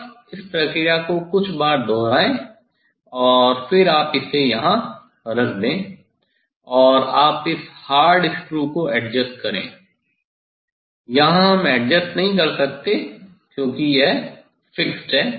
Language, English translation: Hindi, just repeat this process few times and then you put it here, and you adjust this hard screw here we cannot adjust, because this fixed